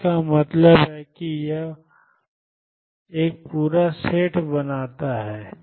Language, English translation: Hindi, So, this means that this forms a complete set